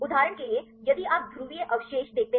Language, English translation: Hindi, For example if you see the polar residues